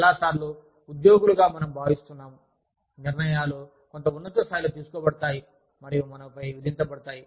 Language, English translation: Telugu, Many times, we as employees feel, that the decisions are made, at some higher level, and are imposed on us